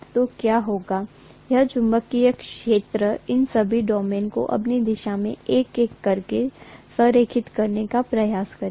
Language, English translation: Hindi, So what is going to happen is, this magnetic field will try to align all these domains one by one along its own direction